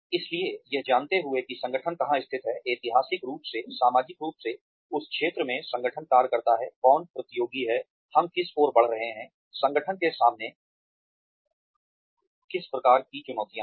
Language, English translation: Hindi, So, knowing where the organization has been situated, historically, socially, in the sector that, the organization functions in, who the competitors are, what we are moving towards, what are the kinds of challenges the organization faces